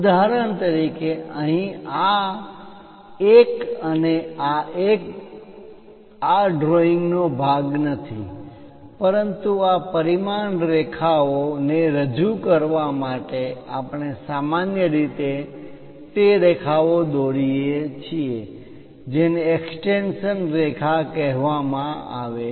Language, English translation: Gujarati, For example, here this one and this one these are not part of the drawing, but to represent these dimension line we usually draw what is called extension line